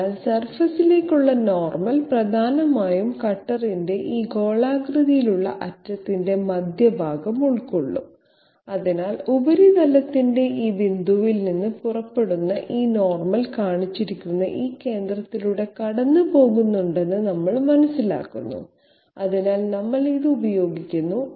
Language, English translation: Malayalam, So the normal to the surface will essentially contain the centre of this spherical end of the cutter, so we understand that this normal which is emanating out at this point of the surface it is passing through this centre which is shown, so we make use of this This figure will make it clear